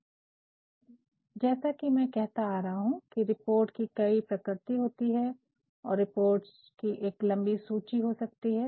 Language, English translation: Hindi, Now, as I have been saying that reports are of different natures and there can be a long list of reports